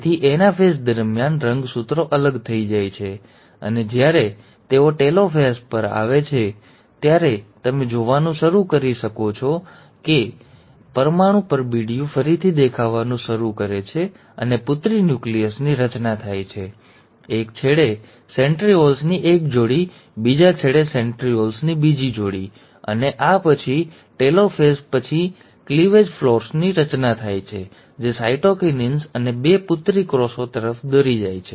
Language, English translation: Gujarati, So during anaphase, the chromosomes will move apart, and by the time they come to telophase, you start seeing that the nuclear envelope starts reappearing, and, the daughter nuclei are getting formed, and one pair of centrioles on one end, another pair of centrioles at the other end, and this would be followed by formation of a cleavage furrow after telophase one, leading to cytokinesis and two daughter cells